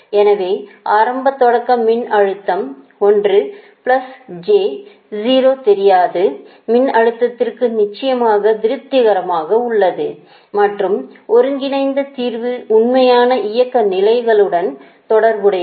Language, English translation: Tamil, so an initial starting voltage, one plus j, zero for unknown voltage, is satisfactory, of course, right, and the converged solution correlates with the actual operating states